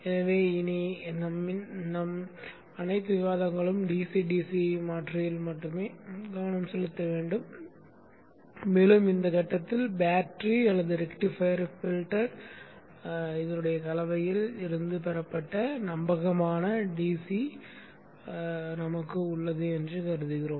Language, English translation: Tamil, So from now on all our discussions will be focused on the DC DC converter alone and we assume that at this point we have a reliable DC obtained either from battery or from the rectifier filter combination